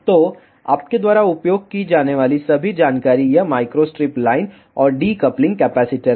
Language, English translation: Hindi, So, the all information that you need to use is this these micro strip line, and the decoupling capacitor